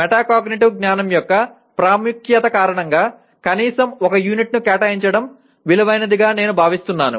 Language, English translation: Telugu, I felt spending, because of the importance of metacognitive knowledge it is worthwhile spending at least one unit on this